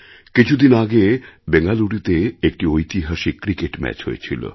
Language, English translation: Bengali, Just a few days ago, a historic Cricket match took place in Bengaluru